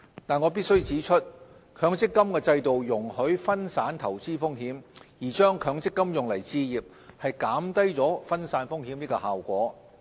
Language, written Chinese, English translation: Cantonese, 但我必須指出，強積金制度容許分散投資風險，而將強積金用來置業，減低分散風險的效果。, However I must point out that the MPF System allows diversification of investment risks but if MPF benefits are used for buying home risk diversification will be reduced